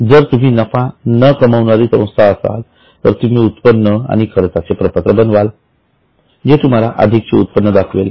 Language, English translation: Marathi, If you are a non profit organization then you will prepare income and expenditure account and it will give you the surplus